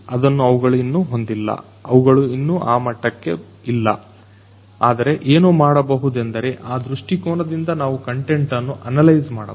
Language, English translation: Kannada, They do not already have that, they are not there yet, but what could be done analyze the content in that perspective